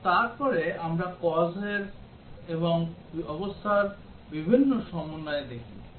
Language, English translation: Bengali, And then we look at various combinations of the causes and conditions